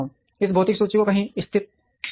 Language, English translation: Hindi, This physical inventory has to be located somewhere